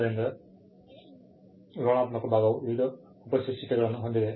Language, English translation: Kannada, So, the descriptive part has various subheadings